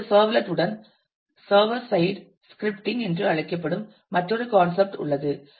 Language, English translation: Tamil, Now, along with the servlet there is another concept which is called server side scripting